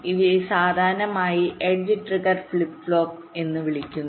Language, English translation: Malayalam, these are typically called edge trigged flip flop